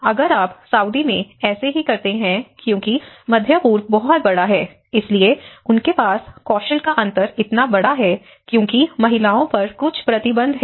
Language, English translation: Hindi, If you do the same thing in Saudi because there is a huge in the Middle East, so they have the skill difference is so huge because women have certain restrictions